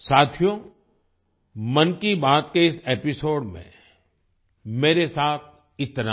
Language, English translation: Hindi, Friends, that's all with me in this episode of 'Mann Ki Baat'